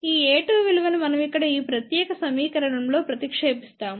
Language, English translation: Telugu, We substitute this value of a 2 in this particular equation here